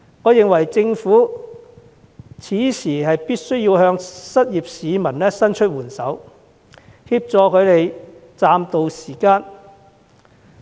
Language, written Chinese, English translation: Cantonese, 我認為政府此時必須向失業市民伸出援手，協助他們暫渡時艱。, I think the Government must extend a helping hand to the unemployed to help them tide over the difficult times